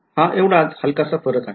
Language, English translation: Marathi, So, that is the only slight difference